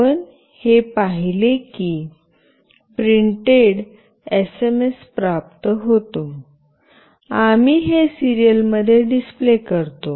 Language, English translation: Marathi, And we see that once this is printed, SMS is received, we display this in the serial